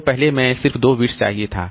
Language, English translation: Hindi, So, previously I just kept two bits